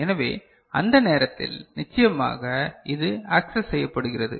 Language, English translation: Tamil, So, at that time your of course this is accessed, this is accessed